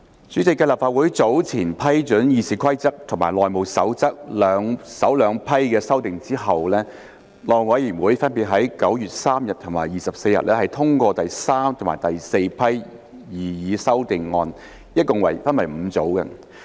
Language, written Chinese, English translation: Cantonese, 主席，繼立法會早前批准《議事規則》和《內務守則》首兩批的修訂之後，內務委員會分別在9月3日和24日通過第三和第四批擬議修訂，一共分為5組。, President after the approval of the first two batches of amendments to RoP and the House Rules HR by the Legislative Council earlier the third and the fourth batches of proposed amendments which can be divided into a total of five groups were endorsed by the House Committee HC on 3 and 24 September respectively